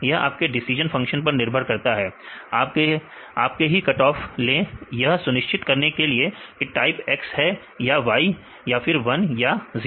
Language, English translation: Hindi, This is based on your decision function; you can take any cutoff to decide whether this is the type X or type y; a 1 or 0